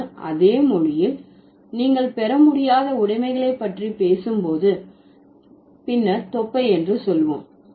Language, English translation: Tamil, But in the same language, when you are talking about inalienable possessions, then let's say belly